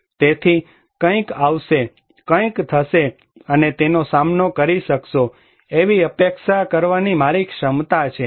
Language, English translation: Gujarati, So, my capacity to anticipate that something will come, something will happen and to cope with